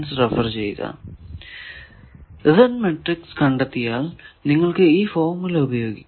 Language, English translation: Malayalam, If you do the Z matrix will be like this